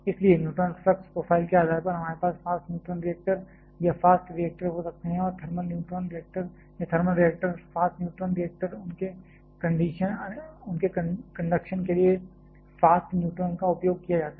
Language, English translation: Hindi, So, based upon the neutron flux profile, we can have fast neutron reactors or fast reactors and thermal neutron reactors or thermal reactors, fast neutron reactors of course, utilizes fast neutron for their operation